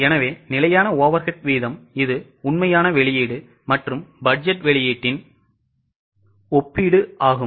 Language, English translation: Tamil, So, standard fixed overhead rate, it's a comparison of actual output and budgeted output